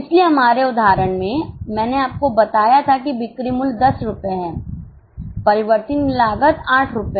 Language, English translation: Hindi, So, in our example, I had told you that selling price is $10, variable cost is $8